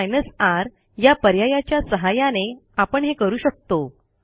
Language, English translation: Marathi, But using the R option we can do this